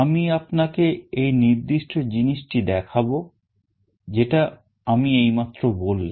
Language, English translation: Bengali, I will take you through the tour of this particular thing that I have just told you